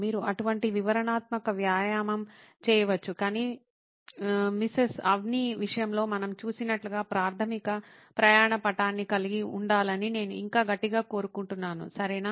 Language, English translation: Telugu, You can do such a detailing exercise but I would still insist on having the basic journey map like we saw in Mrs Avni’s case, okay